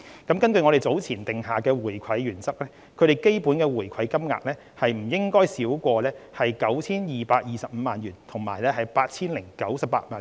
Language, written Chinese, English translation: Cantonese, 根據我們早前訂下的回饋原則，它們的基本回饋金額不應該少於 9,225 萬元及 8,098 萬元。, According to the give - back principle we laid down earlier their minimum rebate amounts should be no less than 92.25 million and 80.98 million respectively